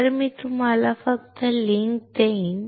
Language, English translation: Marathi, So, I will just give you the link